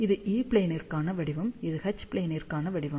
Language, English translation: Tamil, So, this is the pattern for E plane, this is the pattern for H plane